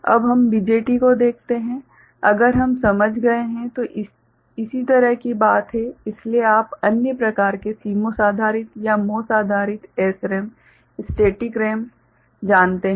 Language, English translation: Hindi, Now, we look at so, BJT if we have understood, similar thing is therefore, other you know types CMOS based or MOS based SRAM static RAM ok